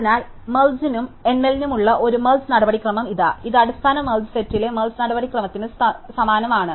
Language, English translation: Malayalam, So, here is a merge procedure for merge and count which is very similar to the merge procedure in the basic merge sort